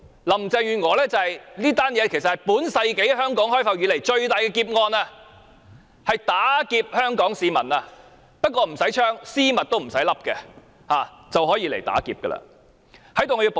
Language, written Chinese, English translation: Cantonese, 林鄭月娥提出這項工程，其實是香港開埠以來最大的劫案，無需絲襪套頭便可以打劫全港市民。, The project put forward by Carrie LAM is actually the greatest robbery since the inception of Hong Kong; she will rob all people of Hong Kong without having to wear pantyhose over her head